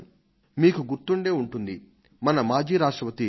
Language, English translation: Telugu, You may remember that the former President of India, Dr A